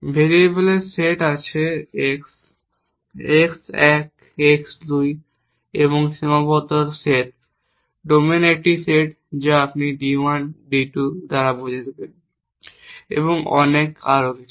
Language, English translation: Bengali, There is set of variables x, x one, x two, a finite set, a set of domains d which you will denote by d 1 d 2 and so on